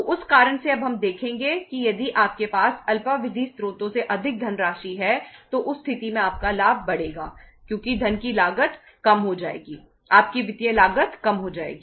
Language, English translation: Hindi, So because of that reason now we will see that if you uh have more funds from the short term sources in that case your profit will increase because cost of the funds will go down, your financial cost will go down